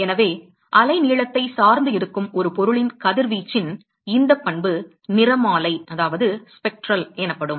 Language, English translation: Tamil, So, this property of radiation of an object to be dependent upon the wavelength is what is called as spectral